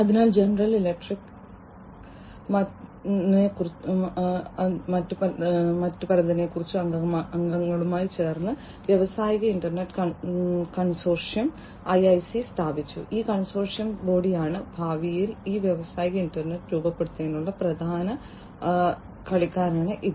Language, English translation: Malayalam, So, General Electric along with few other members founded the industrial internet consortium IIC and this consortium is the body, which is largely the main player for shaping up this industrial internet for the future